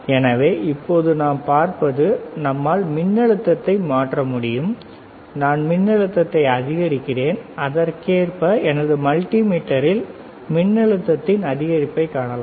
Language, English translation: Tamil, So, right now what we see is we can change the voltage we I am increasing the voltage and correspondingly I can see the increase in the voltage here on my multimeter